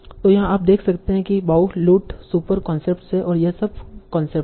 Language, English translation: Hindi, So here you can see that Bollute is the super concept, this is the sub concept